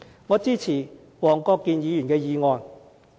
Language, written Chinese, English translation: Cantonese, 我支持黃國健議員的議案。, I support the motion of Mr WONG Kwok - kin